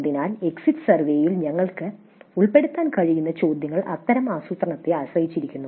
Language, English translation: Malayalam, So, questions that we can include in the exit survey depend on such planning